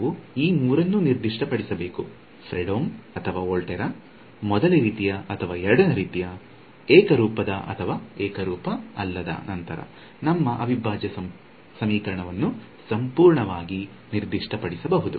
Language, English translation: Kannada, So, we need to specify all three: Fredholm or Volterra, first kind or second kind, homogeneous or non homogeneous then your integral equation is fully specified